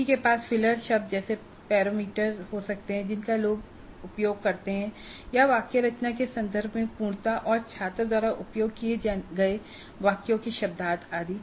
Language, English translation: Hindi, One could have parameters like the filler words that people use or the completeness in terms of syntax and semantics of the sentences used by the student